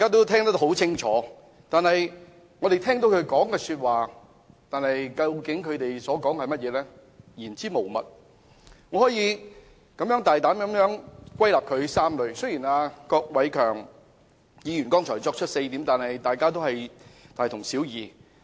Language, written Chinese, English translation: Cantonese, 他們的發言言之無物，我可以大膽歸納出3個重點。郭偉强議員剛才提出了4點，其實只是大同小異。, Their speeches which were devoid of substance can be boldly summarized into three main points which are actually pretty much the same as the four points raised by Mr KWOK Wai - keung just now